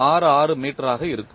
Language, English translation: Tamil, 8066 meter per second square